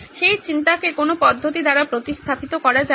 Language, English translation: Bengali, The thinking is not replaced by the method